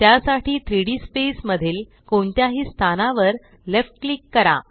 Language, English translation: Marathi, To do this, left click at any location in the 3D space